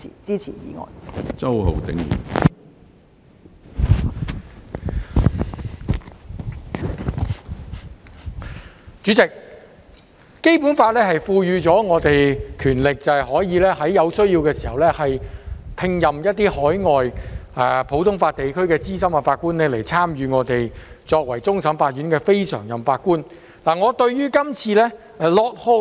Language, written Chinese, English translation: Cantonese, 主席，《基本法》賦予我們權力，在有需要時聘任海外普通法地區的資深法官擔任終審法院非常任法官，參加審判案件。, President the Basic Law conferred on us the power to appoint senior judges from overseas common law jurisdictions as non - permanent judge of the Court of Final Appeal and participate in adjudicating cases where necessary . I support the appointment of Lord HODGE this time